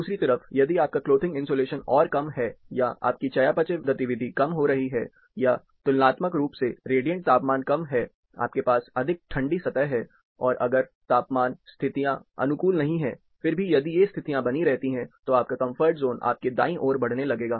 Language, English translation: Hindi, On the other hand if your clothing insulation is further low, or your metabolic activity is getting further low, or the radiant temperature are lower comparatively, you have more colder surfaces around you, even when temperatures, conditions are not suitable, if these conditions prevail, your comfort zone would start moving towards your right